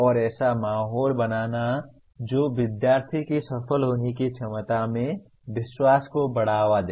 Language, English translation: Hindi, And creating an atmosphere that promotes confidence in student’s ability to succeed